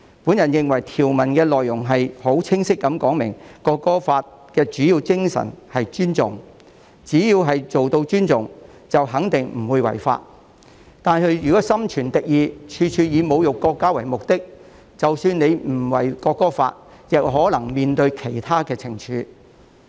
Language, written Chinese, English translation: Cantonese, 我認為條文內容已很清晰地說明，《國歌法》的主要精神是尊重，只要做到尊重，便肯定不會違法，但如果心存敵意，處處以侮辱國家為目的，即使不違反《國歌法》，亦可能須面對其他懲處。, In my opinion the content of the provisions has made it crystal clear that respect is the main spirit of the National Anthem Law . People will definitely not break the law as long as they act respectfully . Yet if they adopt a hostile attitude and intend to insult the country in every way they may have to face other penalties even if they do not breach the National Anthem Law